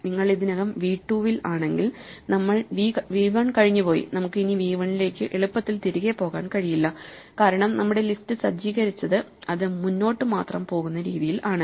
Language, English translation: Malayalam, If you are already at v 2 then we have gone past v 1 and we cannot go back to v 1, easily the way we have set up our list because it only goes forward; we cannot go back to v 1 and change it